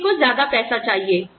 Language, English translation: Hindi, All of us want, more money